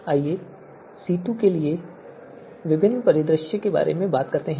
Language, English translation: Hindi, Let us talk about different scenario scenarios for C2